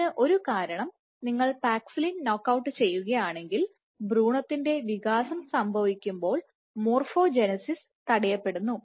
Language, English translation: Malayalam, And one of the reasons being that if you knockout paxillin then morphogenesis on development is stopped